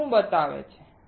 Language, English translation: Gujarati, What does it show